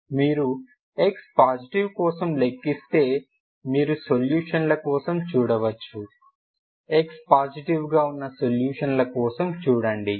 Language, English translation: Telugu, if you know now you can calculate for x positive if you calculate for x positive you look for solutions, you look for solutions who are x positive